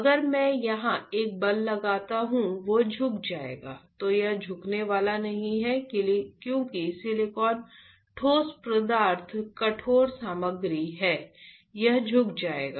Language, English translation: Hindi, If I apply a force here and I apply a force here which one will bend, this is not going to bend because silicon is solid material hard material this will bend